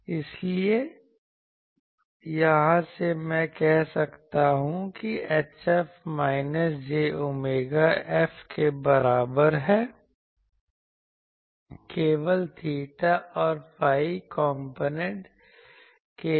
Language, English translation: Hindi, So, from here I can say H F is equal to minus j omega F for theta and phi components only